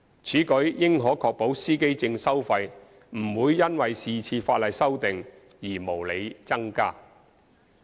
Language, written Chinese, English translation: Cantonese, 此舉應可確保司機證收費不會因是次法例修訂而無理增加。, This should be able to ensure that the fees charged for driver identity plates will not increase unreasonably due to the current legislative amendments